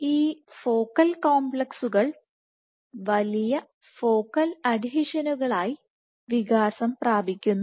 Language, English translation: Malayalam, So, from focal complexes, these focal complexes mature into larger Focal Adhesions